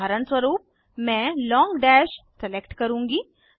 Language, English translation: Hindi, For eg I will select Long dash